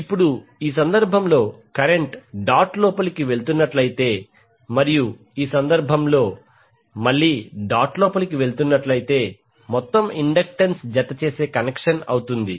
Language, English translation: Telugu, Now in this case if the current is going inside the dot and in this case again the current is going inside the dot the total inductance will be the adding connection